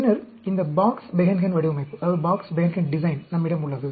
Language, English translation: Tamil, Then, we have these Box Behnken Design